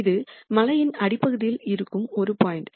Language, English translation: Tamil, This is a point which is at the bottom of the hill